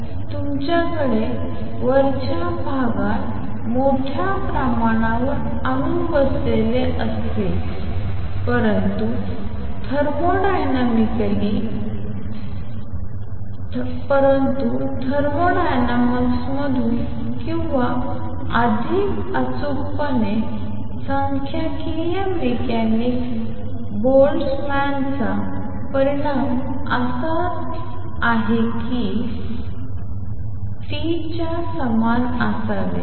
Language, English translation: Marathi, So, you will have large number of atoms sitting in the upper sate, but thermodynamically, but from thermodynamics or more precisely from the statistically mechanics Boltzmann result is that N 2 over N 1 should be equal to E raise to minus delta E over a T